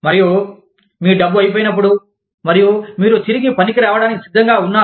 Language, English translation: Telugu, And, when you run out of money, and you are ready, to come back to work